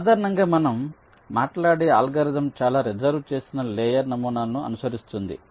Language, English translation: Telugu, so usually most of the algorithm we talk about will be following some reserved layer model